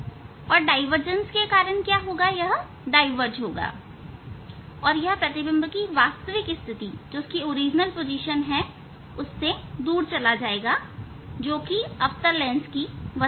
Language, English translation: Hindi, And because of divergence it will go diverge it will go away from the original image position which is the; which is the object of the concave lens